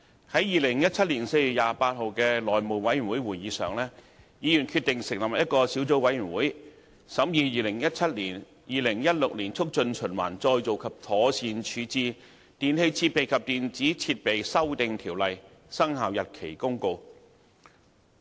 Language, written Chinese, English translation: Cantonese, 在2017年4月28日的內務委員會會議上，議員決定成立一個小組委員會，審議《2017年〈2016年促進循環再造及妥善處置條例〉公告》。, Members agreed at the House Committee meeting on 28 April 2017 to form a subcommittee to study the Promotion of Recycling and Proper Disposal Amendment Ordinance 2016 Commencement Notice 2017